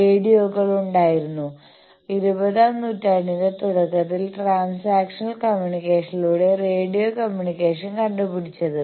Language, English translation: Malayalam, There were radios; radio communication was invented just at the start of the twentieth century by transactional communication